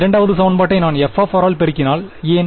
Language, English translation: Tamil, If I multiply the second equation by f of r why